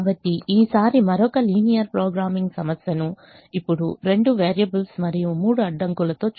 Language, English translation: Telugu, so we look at another linear programming problem, this time with two variables and three constraints